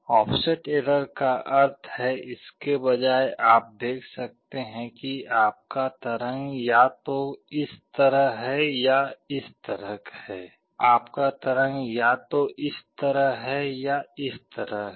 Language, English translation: Hindi, Well offset error means instead of this you may see that your waveform is either like this or like this